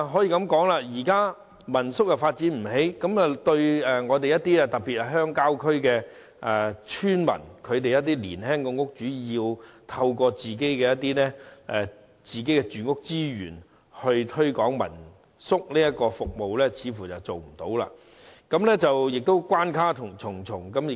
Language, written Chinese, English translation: Cantonese, 由於民宿的發展毫無寸進，鄉郊村民，特別是一些年輕戶主想利用自己擁有的房屋資源推廣民宿服務，根本並不可能，同時亦關卡重重。, Since no progress has been made in the development of homestay lodgings it is simply not possible for rural villagers especially young landlords to make use of their properties to promote homestay lodging services . Worse still there are various obstacles